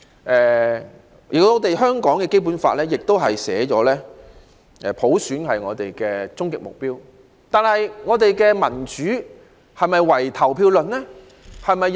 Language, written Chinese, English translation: Cantonese, 雖然香港的《基本法》訂明普選是終極目標，但我們的民主是否唯投票論呢？, Even though the Basic Law of Hong Kong stipulates that universal suffrage is the ultimate goal I must query whether the right to vote should be the only yardstick of democracy